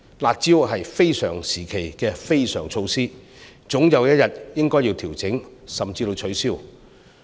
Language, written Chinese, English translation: Cantonese, "辣招"是非常時期的非常措施，總有一天應該要調整甚至取消。, The curb measures are extraordinary measures employed in an extraordinary time and eventually these should be adjusted or even abolished altogether